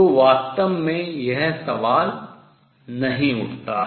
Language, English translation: Hindi, So, this question does not really arise